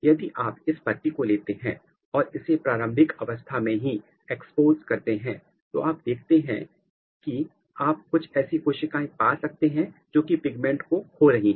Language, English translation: Hindi, So, let’s so, if you take this leaf and if you irradiate them at early stage what you see that you might find a cell here which is losing the pigment